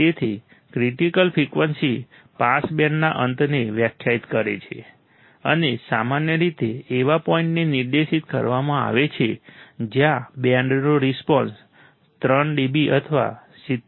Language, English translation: Gujarati, So, critical frequency defines the end of the pass band and normally specified at a point where the response drops to minus 3 dB or 70